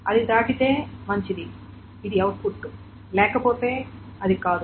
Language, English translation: Telugu, If it passes, then it is fine, its output, otherwise it is not